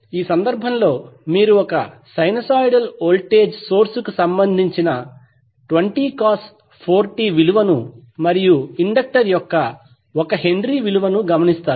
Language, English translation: Telugu, In this case you will see that we have 1 sinusoidal voltage source or given by 20 cos 4t and we have the indictor of 1 Henry